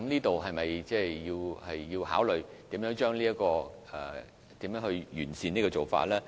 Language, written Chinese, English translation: Cantonese, 就此，是否需要考慮如何完善做法呢？, In view of this should we think thoroughly in order to come up with ways to perfect the scheme?